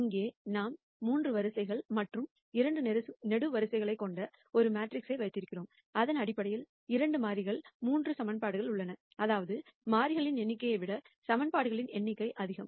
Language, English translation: Tamil, Here we have a matrix with 3 rows and 2 columns, which basically means that there are 3 equations in 2 variables number of equations more than number of variables